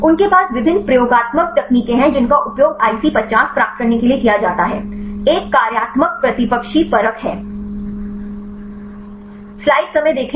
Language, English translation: Hindi, They have various experimental techniques used to get the IC50, one is the functional antagonist assay